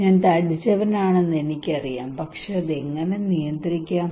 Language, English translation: Malayalam, I know I am fat but how to control that one